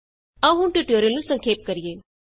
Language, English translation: Punjabi, Let us now summarize the tutorial